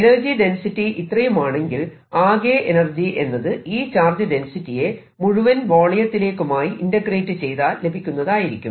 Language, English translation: Malayalam, if that is the energy density density, the total energy comes out to be this energy density integrated over the entire volume